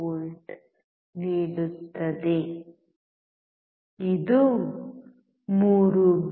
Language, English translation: Kannada, 5V, which is close to 3